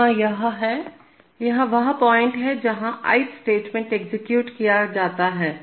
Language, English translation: Hindi, Here is the, this is the point where the ith statement gets executed